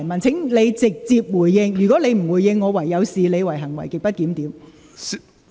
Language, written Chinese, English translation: Cantonese, 請你直接回應，如果你不回應，我會視之為行為極不檢點。, Please respond directly . If you do not respond I will regard such behaviour as grossly disorderly